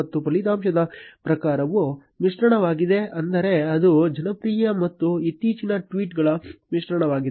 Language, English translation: Kannada, And the result type is mixed which means that it will be a mix of popular and recent tweets